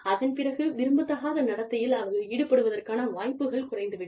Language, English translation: Tamil, Then, their chances of engaging in undesirable behavior, are reduced, significantly